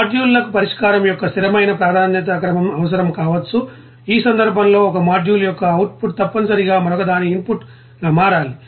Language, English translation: Telugu, The modules may require a fixed you know precedence order of solution that is the output of one module must become the input of another in this case